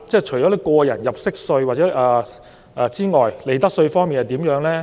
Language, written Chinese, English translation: Cantonese, 除了個人入息課稅外，利得稅方面又怎樣呢？, Apart from tax under personal assessment what about profits tax?